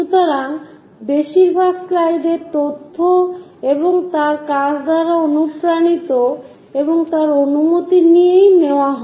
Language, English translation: Bengali, So, most of the slides, information is inspired by his works and taken with his permission